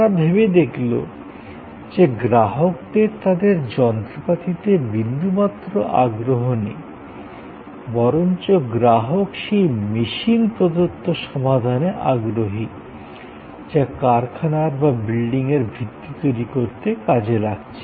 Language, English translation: Bengali, They thought that the customer is not interested exactly in that machine, the earth moving machine, the customer is interested in the solution provided by that machine, which is moving earth away to create the foundation for the plant or for the building